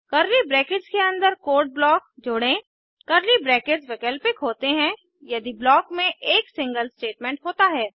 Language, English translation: Hindi, * Add the block of code within curly brackets * Curly braces are optional if the block contains a single statement